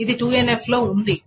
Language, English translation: Telugu, It is in 2NF